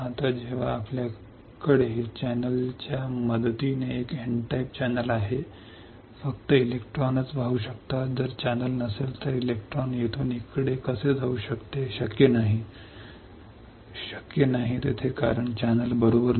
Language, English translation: Marathi, Now when we have N type channel with the help of channel only the electrons can flow, if there is no channel how can electron flow from here to here not possible right not possible there is no channel right